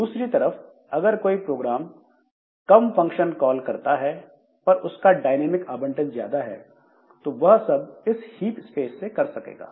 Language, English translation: Hindi, On the other hand, if a program does less of function calls but more of dynamic allocation, so they will be done, they will be allocated the hip space